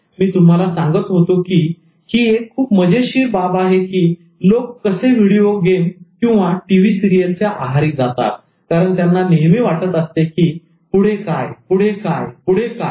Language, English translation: Marathi, So I was telling you that it's interesting to note that this is how people get addicted to video games or watching teleserials because they always want to see what next, what next, what next